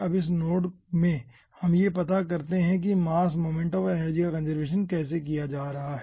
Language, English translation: Hindi, now, in this nodes we find out how mass momentum and energy is being conserved